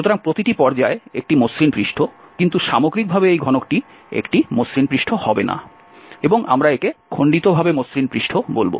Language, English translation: Bengali, So, each phase is a smooth surface, but as a whole this cube will not be a smooth surface and we will call it piecewise smooth surface